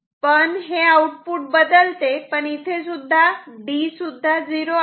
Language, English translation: Marathi, But it will not it will it can change, but D is also 0